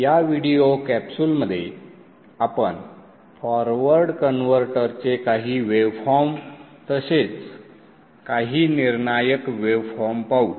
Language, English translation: Marathi, In this video capsule we shall look at the waveforms, some critical waveforms of the forward converter